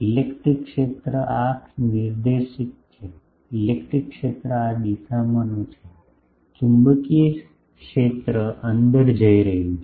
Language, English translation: Gujarati, The electric field is this directed; electric field is this directed, the magnetic field is going inside